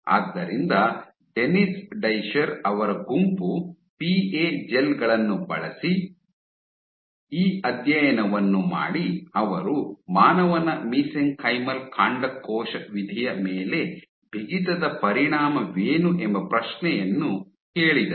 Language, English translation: Kannada, So, the group of Dennis Discher did this study using PA gels, he asked that what is the effect of stiffness on human mesenchymal stem cell fate